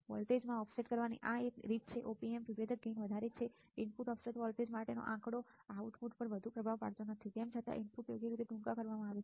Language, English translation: Gujarati, This is one way of offset in the voltage be being that Op Amp differential gains are high the figure for input offset voltage does not have to be much effect on the output even though inputs are shorted right